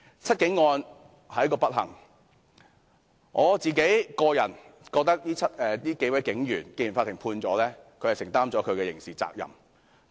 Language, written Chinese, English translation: Cantonese, "七警案"是一個不幸，我個人認為既然法院已作出判決，這7位警員已承擔其刑事責任。, The Seven Cops case is an unfortunate event . In my opinion since the Court has already handed down its Judgment the seven police officers have already borne the criminal liabilities